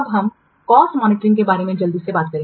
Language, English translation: Hindi, I will quickly say about the cost monitoring